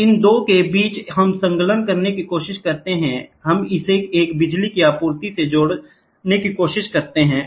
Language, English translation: Hindi, So, between these 2 we try to attach, we try to attach to a power supply